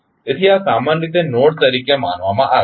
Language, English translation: Gujarati, So, these are generally considered as a node